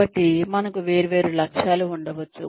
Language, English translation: Telugu, So, we may have different goals